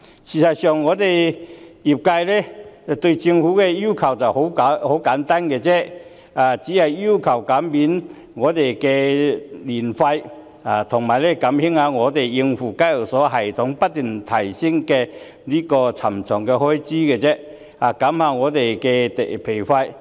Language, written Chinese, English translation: Cantonese, 事實上，業界對政府的要求十分簡單，只是要求減免牌費和減低業界用以應付香港交易所交易系統不斷提升的沉重開支，以減輕我們的負擔。, As a matter of fact the demand from the industry to the Government is very simple . It only asks for an exemption of licence fee as well as a reduction of the heavy expenses incurred for the constant upgrading of the trading system at the Hong Kong Exchange and Clearing Limited so as to alleviate our burden